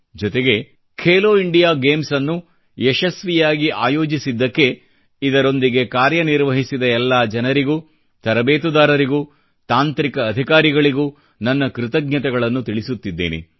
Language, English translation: Kannada, I also thank all the people, coaches and technical officers associated with 'Khelo India Games' for organising them successfully